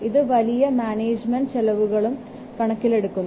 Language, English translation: Malayalam, It also takes account for bigger management overheads